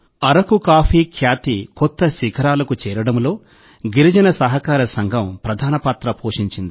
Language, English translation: Telugu, Girijan cooperative has played a very important role in taking Araku coffee to new heights